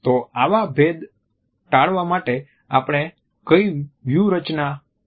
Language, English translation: Gujarati, So, what strategies we can adopt to avoid distinction